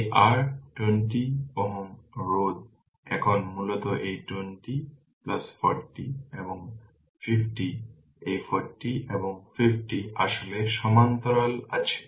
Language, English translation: Bengali, This is your 20 ohm resistance now basically this 40 and 50 this 40 and 50 actually are in parallel